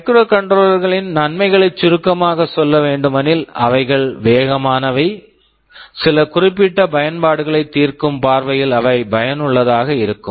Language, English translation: Tamil, To summarize the advantages of microcontrollers, they are fast, they are effective from the point of view of solving some particular application at hand